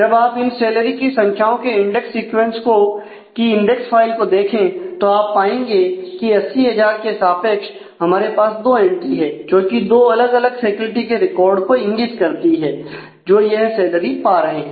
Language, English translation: Hindi, So, if you look at the index file of the index sequence of the salary values you will find that against 80,000 we have two entries which marked to two different records corresponding to the faculty who are drawing that salary